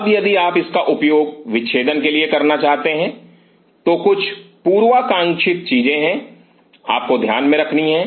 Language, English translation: Hindi, Now, if you want to use it for dissection there are certain prerequisite, what you have to consider